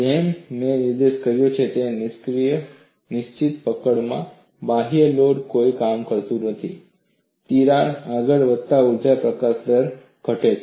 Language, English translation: Gujarati, As I pointed out, in fixed grips, since external load does no work, the energy release rate decreases as the crack advances